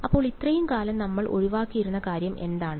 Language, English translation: Malayalam, So, what is the thing that we have been avoiding all the long